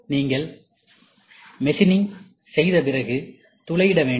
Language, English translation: Tamil, Then after you machine, you have to drill